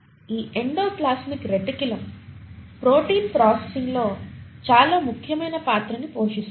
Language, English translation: Telugu, And this endoplasmic reticulum plays a very important role in protein processing